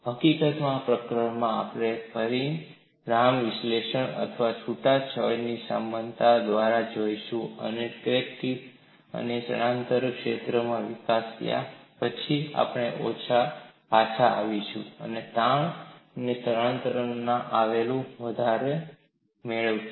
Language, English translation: Gujarati, In fact, in this chapter we would go by dimensional analysis or a relaxation analogy, after we develop crack tip stress and displacement fields, we will come back and derive them based on stress and displacements